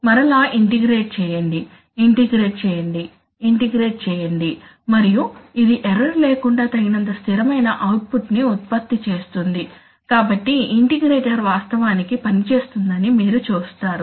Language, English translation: Telugu, And again integrate, integrate, integrate, and it will generate it just enough output such that it can be, it can be sustained without the error, so you see that the integrator is actually, the integrator actually works as